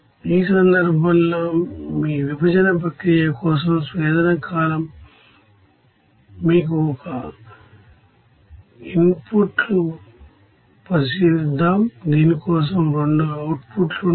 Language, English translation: Telugu, In this case again let us consider that distillation column for your separation process your one input, there will be 2 outputs for this